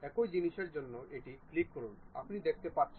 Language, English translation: Bengali, For the same thing click that, you see ah